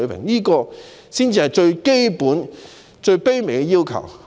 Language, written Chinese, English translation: Cantonese, 這是我們最基本和最卑微的要求。, This is our most basic and humble request